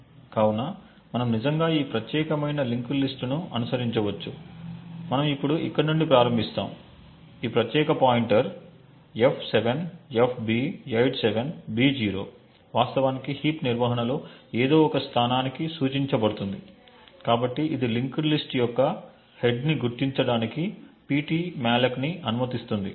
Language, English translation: Telugu, So, we could actually follow this particular linked list, we would start from here now this particular pointer f7fb87b0 would actually point to some location within the heap management, so this would permit ptmalloc to identify the head of the linked list